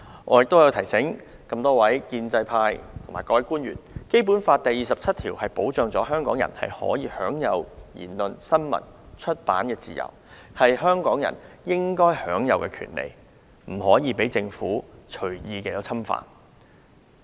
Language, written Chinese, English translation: Cantonese, 我提醒建制派議員和官員，《基本法》第二十七條保障香港人享有言論、新聞、出版自由，這些都是香港人應享有的權利，不得被政府隨意侵犯。, I would like to remind pro - establishment Members and government officials that freedom of speech of the press and of publication of Hong Kong people is protected under Article 27 of the Basic Law . These are the rights of Hong Kong people and should never be infringed by the Government at will